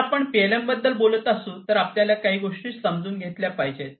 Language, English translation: Marathi, So, if we are talking about PLM, we need to understand few things